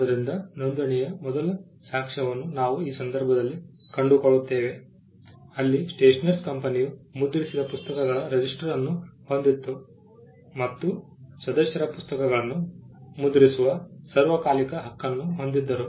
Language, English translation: Kannada, So, the first evidence of registration we find it in this instance where the stationers company had a register of the books that it printed, and members had almost a perpetual right to print the books